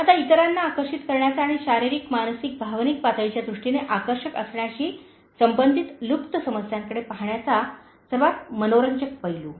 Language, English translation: Marathi, Now, the most interesting aspect about attracting others and having looked at the concealed issues related to being attractive in terms of physical mental, emotional levels